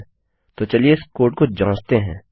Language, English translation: Hindi, Ok, so lets check this code